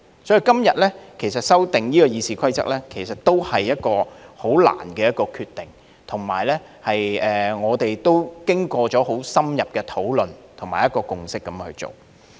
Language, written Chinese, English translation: Cantonese, 所以，今天修訂《議事規則》，也是一個很艱難的決定，而且是我們經過相當深入的討論和共識才作出的。, So I will say that the amendment of the Rules of Procedure today is a difficult decision and it is a decision that we have reached on the basis of thorough discussions and a consensus